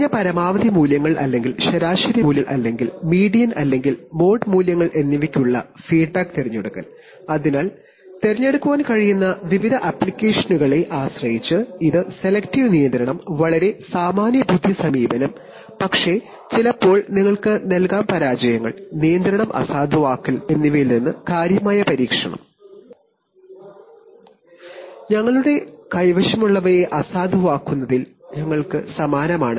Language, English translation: Malayalam, Selection of feedback for either mean minimal maximum values or mean values or median or mode values, so depending on various applications you could choose, this is selective control, very common sense approach but can sometimes give you significant protection from things like failures, coming to override control